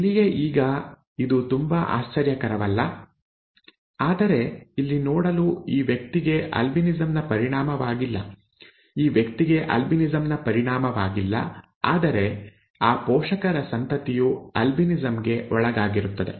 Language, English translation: Kannada, Here itself is I mean, by now it is not very surprising, but to see here this person is not affected with albinism, this person is not affected with albinism, whereas the offspring of that those parents is affected with albinism